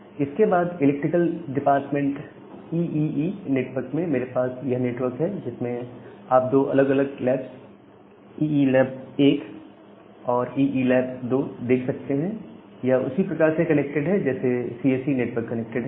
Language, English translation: Hindi, And then I have this network at the electrical department EEE network, there you we have 2 different labs, EE lab 1 and EE lab 2 in the similar fashion that the CSE network is connected